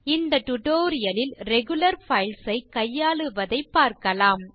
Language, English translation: Tamil, In this tutorial we will see how to handle regular files